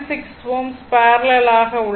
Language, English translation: Tamil, 6 ohm are in parallel